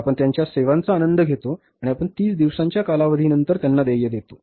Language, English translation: Marathi, We enjoy their services and we pay them after the period of 30 days